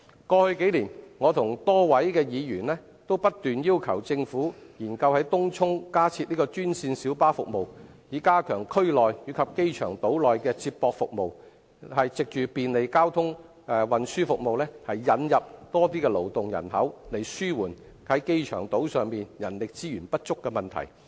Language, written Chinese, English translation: Cantonese, 過去數年，我與多位議員均不斷要求政府研究在東涌加設專線小巴服務，以加強區內及機場島內的接駁服務，藉便利的交通運輸服務，引入更多勞動人口，紓緩機場島上人力資源不足的問題。, Over the years various Members and I have constantly urged the Government to study the introduction of additional green minibus services in Tung Chung so as to strengthen feeder services in the district and on the Airport Island and take advantage of convenient transport services to attract more working population and alleviate the shortage of human resources on the Airport Island